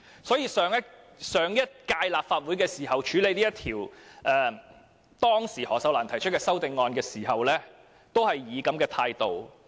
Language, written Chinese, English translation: Cantonese, 所以，當上屆立法會處理當時由何秀蘭議員提出的修正案時，政府也是採取這種態度。, Consequently when the last - term Legislative Council handled the amendment proposed by Ms Cyd HO the Government adopted this kind of attitude again